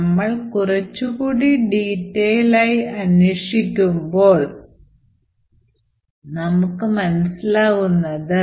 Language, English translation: Malayalam, Now we could investigate a little bit in detail and see what actually is happening